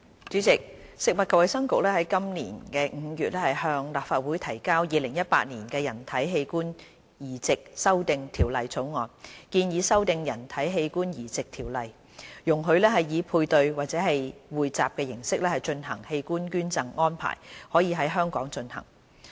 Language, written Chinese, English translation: Cantonese, 主席，食物及衞生局於今年5月向立法會提交《2018年人體器官移植條例草案》，建議修訂《人體器官移植條例》，容許以配對或匯集形式進行的器官捐贈安排在香港進行。, President the Food and Health Bureau introduced to the Legislative Council the Human Organ Transplant Amendment Bill 2018 the Bill in May this year proposing amendments to the Human Organ Transplant Ordinance to allow the conduct of paired or pooled donation arrangements in Hong Kong